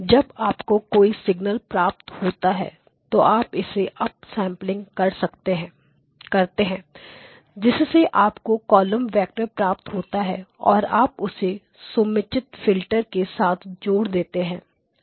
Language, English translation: Hindi, Whatever signal comes in you up sample it that gives you the column vector and then you combine it using appropriate filters okay